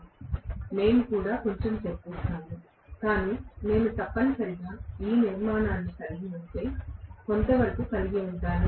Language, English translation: Telugu, We will also discuss a little bit, but if I am having an essentially the structure somewhat like this